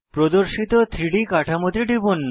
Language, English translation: Bengali, Click on the displayed 3D structure